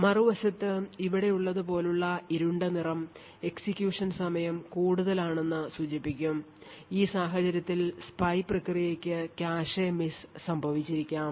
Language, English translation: Malayalam, On the other hand a darker color such as these over here would indicate that the execution time was higher in which case the P i process has incurred cache misses